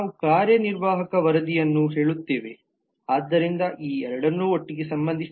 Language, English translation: Kannada, we say executive reports so that relates these two together